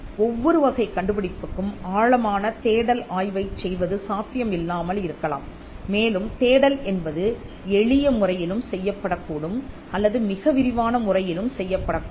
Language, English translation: Tamil, It is not possible to do an in depth search analysis for every case and search is again something that could be done in a simplistic way, and also in a very detailed way